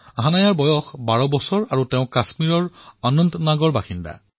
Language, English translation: Assamese, Hanaya is 12 years old and lives in Anantnag, Kashmir